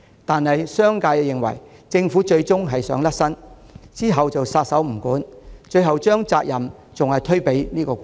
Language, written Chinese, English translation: Cantonese, 惟商界認為，政府最終只想抽身，撒手不管，最後還是會把責任推給僱主。, Yet the business community is convinced that the Government will eventually bail out and wash its hands of the matter shifting the responsibility to employers ultimately